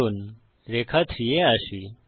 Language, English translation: Bengali, So lets come to line 3